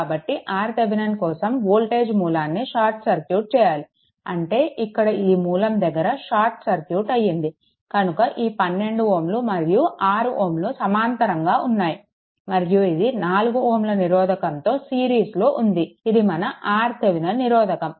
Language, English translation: Telugu, So, if voltage source is short circuited for R Thevenin; that means, here this source is short circuited, this is short circuited and this is short circuited that means, this 12 ohm is and 6 ohm are in parallel with that this 4 ohm is in series that will be your R Thevenin